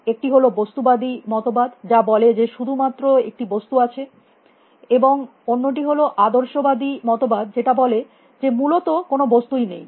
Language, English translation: Bengali, One is materialist view which says that there is only matter and the other is the idealism view which says that there is no matter essentially